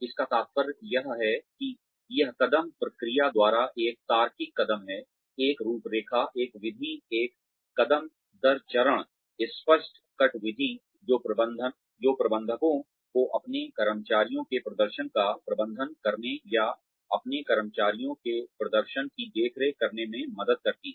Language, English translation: Hindi, All it means is, that it is a logical step by step procedure, a framework, a method, a step by step clear cut method, that helps managers, manage the performance of their employees, or oversee the performance of their employees